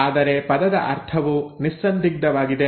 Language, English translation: Kannada, But a meaning of the word is unambiguous